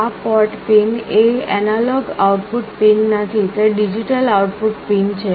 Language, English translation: Gujarati, Now this port pin is not an analog output pin, it is a digital output pin